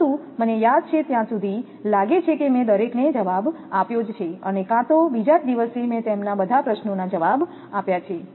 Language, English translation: Gujarati, But I think I have answered to everyone and may be just next day I have given the answer to all their questions